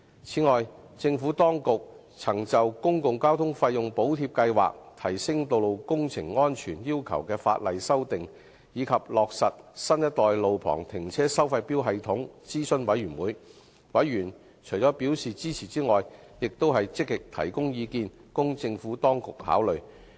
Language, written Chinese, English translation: Cantonese, 此外，政府當局曾就"公共交通費用補貼計劃"、"提升道路工程安全要求的法例修訂"，以及"落實新一代路旁停車收費錶系統"諮詢事務委員會，委員除表示支持外，亦積極提供意見，供政府當局考慮。, Besides the Administration consulted the Panel on the Public Transport Fare Subsidy Scheme the legislative amendments on enhancing the safety requirements of road works and the implementation of a new generation of on - street parking meter system . In addition to expressing support members also voiced their opinions proactively for consideration by the Administration